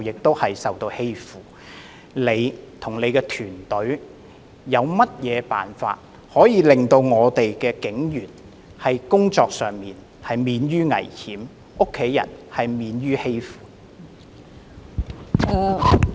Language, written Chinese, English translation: Cantonese, 特首，你和你的團隊有甚麼辦法可以令警員的工作免於危險，令他們的家人免於被欺負？, Chief Executive what measure will you and your team take to guarantee that police officers will not be exposed to danger when they are on duty and their families will not be bullied?